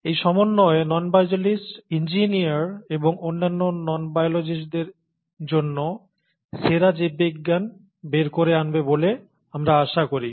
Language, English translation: Bengali, So this combination is expected to bring out the best of biology for non biologist engineers and other non biologists